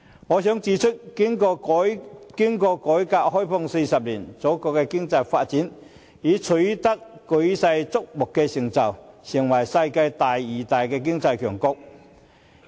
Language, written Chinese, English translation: Cantonese, 我想指出，經過改革開放40年，祖國的經濟發展已取得舉世矚目的成就，成為世界第二大經濟強國。, I must point out that after 40 years of reform and opening up our country has achieved huge economic progress to the envy of the whole world and it is now the worlds second largest economy